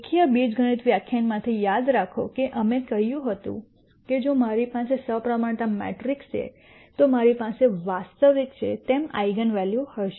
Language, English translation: Gujarati, Remember from the linear algebra lecture we said if I have a symmetric matrix, then I will have the eigenvalues as being real